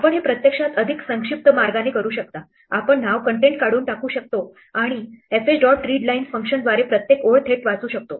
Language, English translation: Marathi, You can actually do this in a more compact way, you can get do away with the name contents and just read directly every line return by the function fh dot readlines